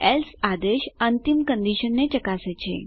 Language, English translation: Gujarati, else command checks the final condition